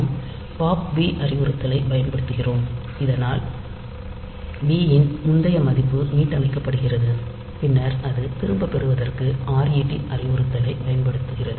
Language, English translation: Tamil, So, we use the pop b instruction, so that this previous value of b is restored and then it will use the ret instruction to return